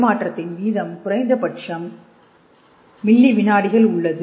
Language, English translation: Tamil, And the forth thing the rate of transmission is in milliseconds at least